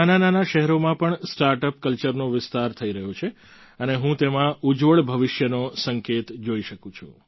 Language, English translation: Gujarati, Today, the startup culture is expanding even to smaller cities and I am seeing it as an indication of a bright future